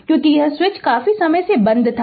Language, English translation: Hindi, So, when the switch was open for a long time